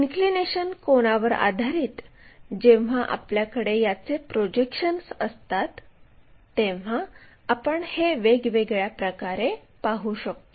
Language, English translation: Marathi, Based on my inclination angle when you have these projections you see it in different way